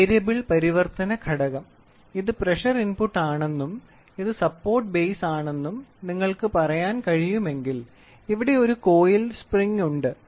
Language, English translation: Malayalam, So, Variable Conversion Element if you see these are pressure inputs and you can say this is the supporting tube here is a coiled spring